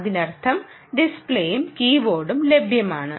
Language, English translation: Malayalam, there is no display and keyboard